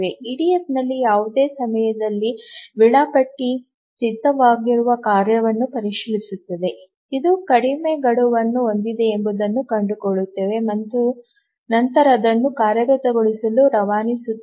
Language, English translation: Kannada, In the EDF at any time the scheduler examines the tasks that are ready, finds out which has the shorter deadline, the shortest deadline and then dispatches it for execution